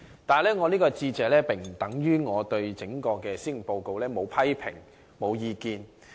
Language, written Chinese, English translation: Cantonese, 不過，這並不等於我對整份施政報告沒有批評或意見。, However this does not mean that I do not have criticisms or comments on the entire Policy Address